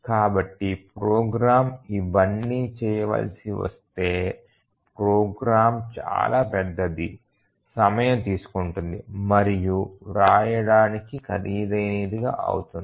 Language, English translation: Telugu, If your program has to do all these then the program will be enormously large and it will be time consuming and costly to write